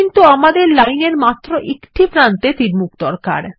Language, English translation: Bengali, But we need an arrowhead on only one end of the line